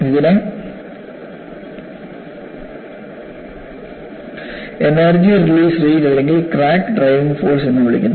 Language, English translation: Malayalam, This is known as energy release rate or crack driving force